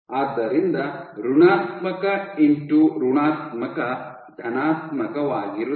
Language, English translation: Kannada, So, negative into negative is positive